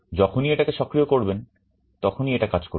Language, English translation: Bengali, Whenever you are enabling it only then it will be working